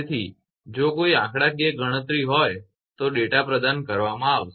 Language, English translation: Gujarati, So, if any numerical anything is there data will be provided